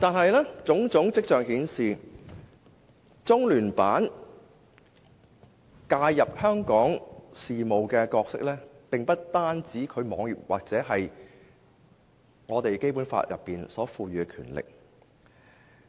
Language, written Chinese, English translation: Cantonese, 然而，種種跡象顯示，中聯辦介入香港事務的角色，並不單是其網頁所載或《基本法》所賦予的權力。, However there are indications that LOCPG has intervened in Hong Kong affairs . It does not merely perform the functions stated in its website or exercise the powers conferred by the Basic Law